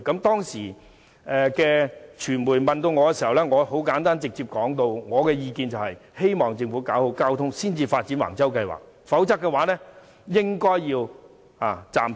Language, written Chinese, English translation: Cantonese, 當時傳媒訪問我，我簡單直接地表示，希望政府先搞好交通配套才發展橫洲計劃，否則便應暫停。, During an interview with the media at that time I pointed out directly that the Government should first improve the supporting transport facilities before implementing the housing development plan at Wang Chau otherwise the plan should be suspended